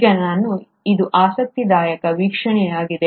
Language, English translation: Kannada, Now this is an interesting observation